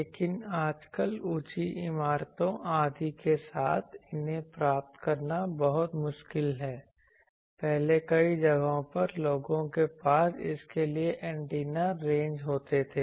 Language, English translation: Hindi, it is very difficult to get these, previously there where in various places people used to have antenna ranges for this